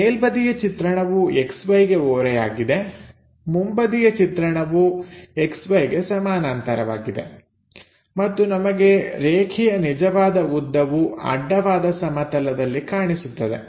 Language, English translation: Kannada, So, top view is inclined to X Y, front view is parallel to X Y and true length we will find it only on the horizontal plane